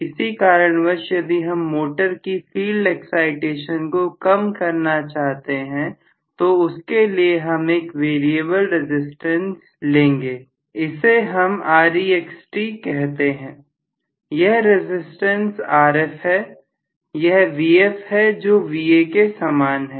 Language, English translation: Hindi, For some reason if I want to reduce the field excitation to the motor so this is going to be a variable resistance, let me call this as R external, the resistance of this is Rf, this is Vf which should be hopefully same as Va